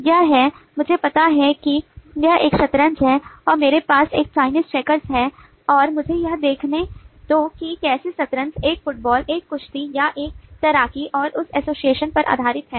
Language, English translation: Hindi, okay, this is i know this is a chess and i have a chinese checkers and let me see how that associates with a chess, a soccer, a wrestling or a swimming and based on that association, i will classify the concept and i will get a